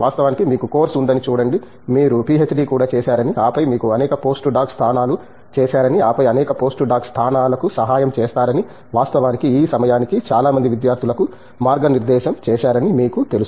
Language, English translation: Telugu, Of course, see you have of course, come up as I mean you have also done a PhD and then you have done several postdoc positions and then helps several postdoc positions and of course, you know guided many students by this time